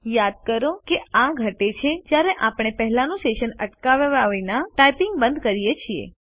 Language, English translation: Gujarati, Recall, that it decreased when we stopped typing without pausing the earlier session